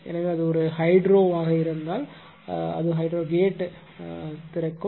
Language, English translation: Tamil, So, if it is a hydro then it will be hydro gate right open it